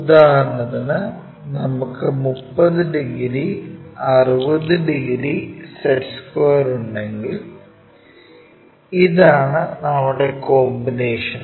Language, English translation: Malayalam, For example, if we are having a 30 degrees 60 degrees set square